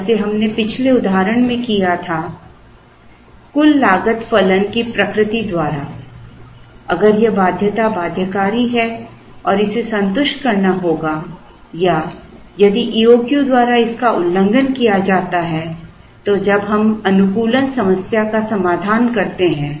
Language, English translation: Hindi, Like, we did in the previous illustration by the very nature of the total cost function, if this constraint is binding and this has to be satisfied or if this is violated by the E O Q then when we solve the optimization problem